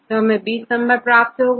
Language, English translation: Hindi, So, we get 20 numbers here